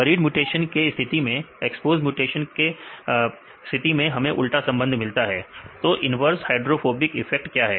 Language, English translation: Hindi, In the case of buried mutations, in the exposed mutation we get the inverse relationship what is the inverse hydrophobic effect